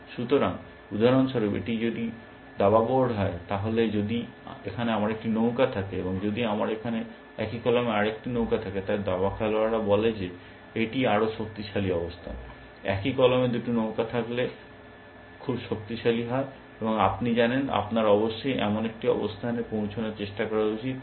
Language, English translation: Bengali, So, if this is the chess board for example, then if I have a rook here, and if I have a another rook here, in the same column, then chess player say that, it stronger position, two rooks in the same column are very powerful, and you know, you should try to arrive at such a position essentially